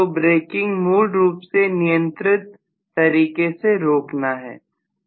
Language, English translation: Hindi, So braking basically is controlled stopping